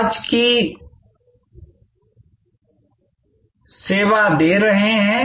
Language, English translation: Hindi, Who are you serving today